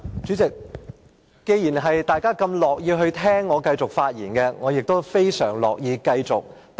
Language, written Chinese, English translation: Cantonese, 主席，既然大家這麼樂意繼續聽我發言，我亦非常樂意繼續發言。, President since Members are willing to continue to listen to me I will be happy to continue with my speech